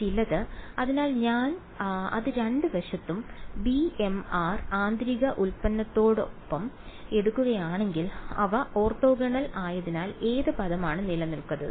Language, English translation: Malayalam, Some other one right; so, if I take it with b m r inner product on both sides right, since they are orthonormal which is the term that survives